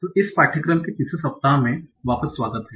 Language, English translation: Hindi, Okay, so welcome back for the third week of this course